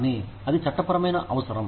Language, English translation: Telugu, But, it is a legal requirement